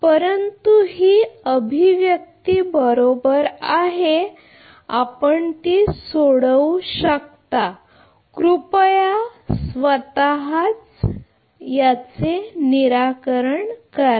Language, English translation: Marathi, But this is the expression right you can solve it you please solve it of your own